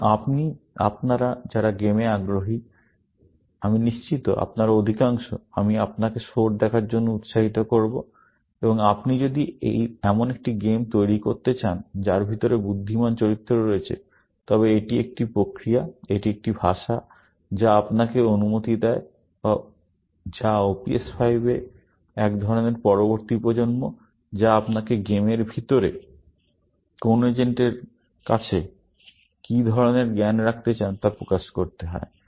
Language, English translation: Bengali, So, those of you are interested in games; I am sure, most of you are; I would encourage you to look at Soar, and if you want to build a game, which has intelligent characters inside it, then this is a mechanism; this is a language, which allows you to; which is a kind of decedent of OPS5, which allows you to express what kind of knowledge that you want put into to an agent, inside a game